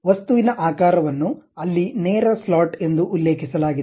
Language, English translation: Kannada, The object shape is clearly mentioned there as straight slot